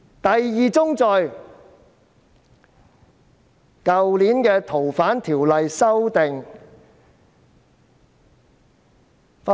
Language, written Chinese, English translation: Cantonese, 第二宗罪，是在去年修訂《逃犯條例》時發生。, The second sin took place during the amendment of the Fugitive Offenders Ordinance last year